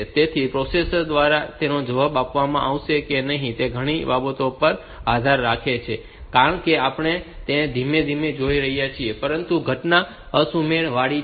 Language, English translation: Gujarati, So, whether it will be answered by the processor or not that depends on many other things as we see it slowly, but the occurrence is asynchronous